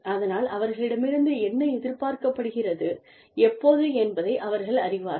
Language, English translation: Tamil, So, that they know that, what is expected of them, and by, when